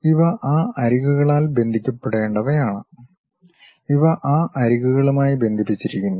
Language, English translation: Malayalam, These supposed to be connected by those edges, these connected by that edges and further